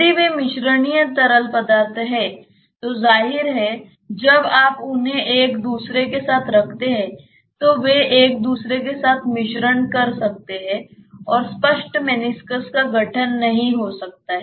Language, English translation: Hindi, If they are miscible liquids; obviously, when you when you put them one with the other, they may mix with each other and the clear meniscus may not be formed